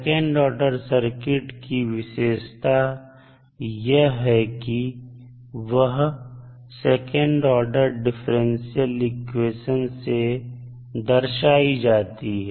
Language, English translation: Hindi, So, second order circuit is characterized by the second order differential equation